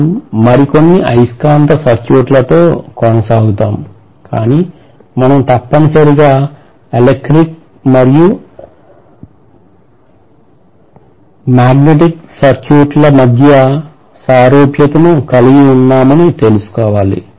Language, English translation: Telugu, So we are essentially having; we will continue with magnetic circuits further, but we are essentially having the analogy between electric and magnetic circuits as follows